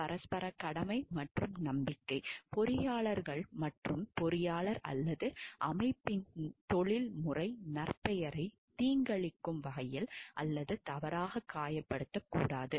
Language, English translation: Tamil, Mutual obligation and trust; engineers shall not maliciously or falsely injure the professional reputation of another engineer or organization